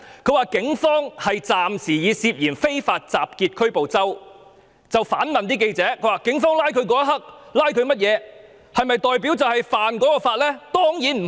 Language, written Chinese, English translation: Cantonese, 他說警方暫時以涉嫌"非法集結"拘捕周同學，而且反問記者，警方拘捕他的時候指出某項罪名，是否表示他就是干犯那項罪行？, He said that the Police had for the time being arrested the student surnamed CHOW for the alleged offence of unlawful assembly and he asked reporters in return If the Police alleged that he had committed certain offence when they arrested him does it mean that he had committed that particular offence?